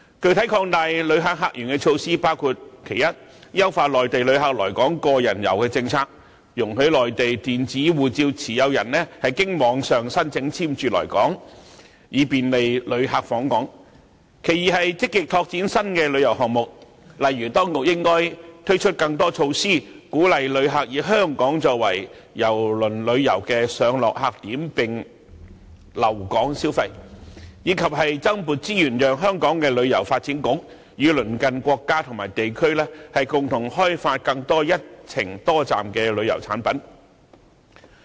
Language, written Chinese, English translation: Cantonese, 具體擴大旅客客源的措施包括：一、優化內地旅客來港"個人遊"政策，容許內地電子護照持有人經網上申請簽注來港，以便利旅客訪港；二、積極拓展新的旅遊項目，例如當局應該推出更多措施，鼓勵旅客以香港作為郵輪旅遊的上落客點並留港消費，以及增撥資源，讓香港旅遊發展局與鄰近國家和地區共同開發更多"一程多站"的旅遊產品。, Specific measures to open up new visitor sources include 1 enhancing the Individual Visit Scheme policy for Mainlanders intending to visit Hong Kong by allowing Mainland e - passport holders to apply online for endorsement to visit Hong Kong so as to facilitate the entry of visitors; 2 proactively exploring new tourism projects such as introducing more measures to encourage visitors to use Hong Kong as the embarking and disembarking port in their cruise tours and make spending in Hong Kong and allocating more resources to the Hong Kong Tourism Board for joint development of more multi - destination tourism products with neighbouring countries and regions